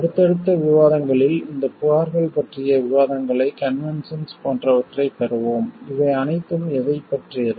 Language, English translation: Tamil, In subsequent discussions, we will have details about these complain like conventions and what are these all about